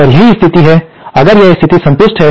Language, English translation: Hindi, And that is the case if this condition is satisfied